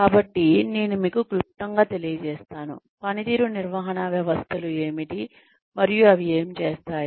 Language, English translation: Telugu, So, let me brief you, a little bit about, what performance management systems are, and what they do